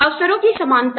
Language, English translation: Hindi, Equality of opportunity